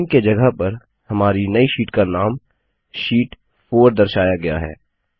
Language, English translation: Hindi, In the Name field, the name of our new sheet is s displayed as Sheet 4